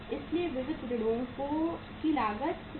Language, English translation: Hindi, So the cost of the sundry debtors is 67,500